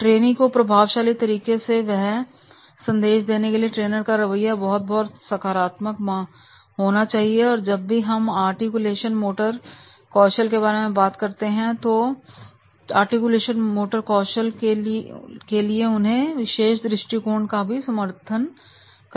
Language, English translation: Hindi, To deliver the trainee that effective message, our approach and attitude that has to be very, very positive and whenever we are talking about the articulation motor skills, then those articulations motor skills they are to be supportive of this particular attitude